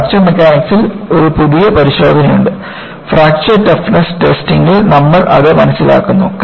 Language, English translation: Malayalam, Then, you have a new test to apply in Fracture Mechanics; you learn that in Fracture Toughness Testing